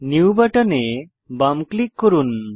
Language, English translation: Bengali, Left click the new button